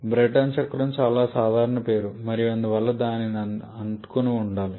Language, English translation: Telugu, Brayton cycle is the most common name and therefore shall be sticking to that